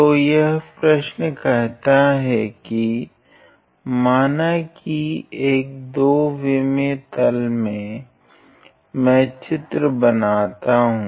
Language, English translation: Hindi, So, this question says that suppose so, the problem say suppose in a 2 D plane let me just draw the diagram